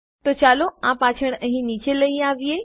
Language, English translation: Gujarati, So, lets take this back down here